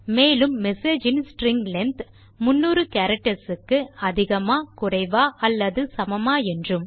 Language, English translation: Tamil, And the string length of message is lesser or equal to 300 characters